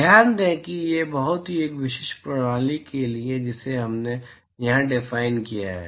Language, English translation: Hindi, Note that this is for a very specific system that we have defined here